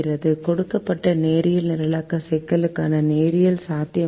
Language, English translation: Tamil, the given linear programming problem is infeasible in this class